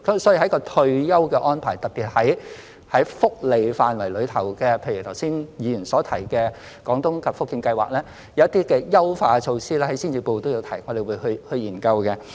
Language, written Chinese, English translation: Cantonese, 所以在退休安排方面，特別是在福利範圍內，譬如剛才議員所提的廣東及福建計劃，有一些優化措施，在施政報告中也有提出，我們會去研究。, Therefore in respect of retirement arrangements particularly in the welfare domain such as the Guangdong and Fujian schemes mentioned earlier by Members we will study some refinement measures which are also proposed in the Policy Address